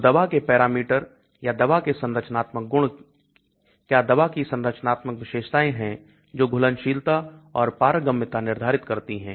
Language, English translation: Hindi, So there are many parameters of the drug or many structural properties of the drug or structural features of the drug that determines solubility and permeability